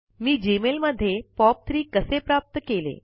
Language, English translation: Marathi, How did I enable POP3 in Gmail